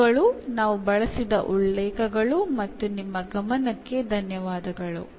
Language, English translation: Kannada, These are the references used, and thank you for your attention